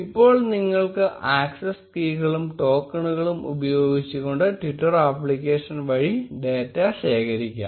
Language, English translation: Malayalam, Now, you can get hold of the access keys and tokens to use this twitter application to gather data